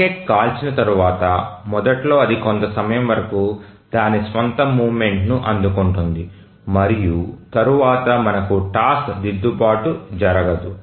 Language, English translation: Telugu, So, once the rocket is fired, initially it goes on its own momentum for certain time and then we don't have a task correction taking place